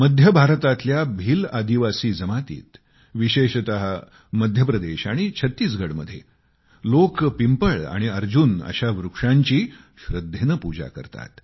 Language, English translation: Marathi, The Bhil tribes of Central India and specially those in Madhya Pradesh and Chhattisgarh worship Peepal and Arjun trees religiously